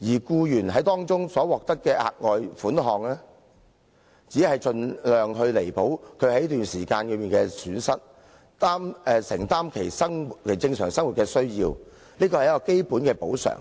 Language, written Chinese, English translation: Cantonese, 僱員所獲得的額外款項，只是盡量彌補他們在這段時間的損失，以應付生活的正常開支，是一項基本的補償。, The further sum given to the employee only serves as a basic award to compensate his loss during this period as far as possible and enable him to pay for the daily living expenditures